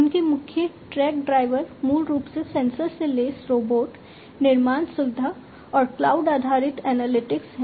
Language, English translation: Hindi, So, their main tech drivers are basically the sensor equipped robotic manufacturing facility and cloud based analytics